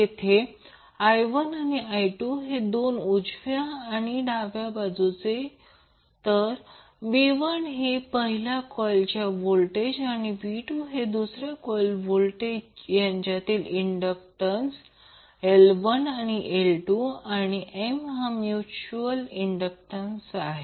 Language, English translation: Marathi, So in this case, if you see v 1 is applied on the left side of the coil, v 2 is applied at the right side of the coil, M is the mutual inductance, L 1 and L 2 are the self inductances of both coils